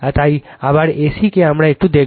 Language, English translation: Bengali, So, A C we will see little bit